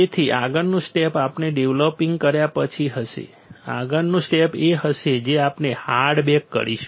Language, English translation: Gujarati, So, next step would be we after developing, next step would be we will do hard bake